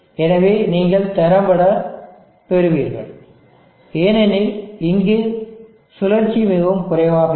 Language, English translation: Tamil, So you will effectively get because it would cycle is very low